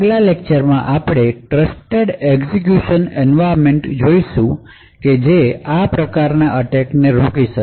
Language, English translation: Gujarati, In the lectures that follow we will be looking at Trusted Execution Environments which can handle these kinds of attacks